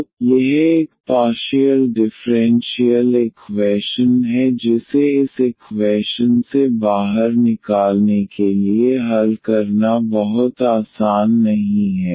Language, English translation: Hindi, So, this is a partial differential equation which is not very easy to solve to get this I out of this equations